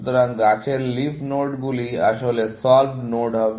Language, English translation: Bengali, So, the leaf nodes in the tree would be solved nodes